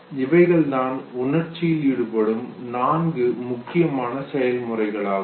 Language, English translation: Tamil, So these are the four important processes that are involved with emotion